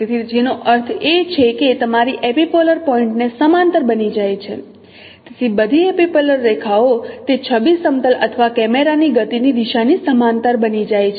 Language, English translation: Gujarati, So all epipolar lines they become parallel parallel to the direction of motion of the image planes or the camera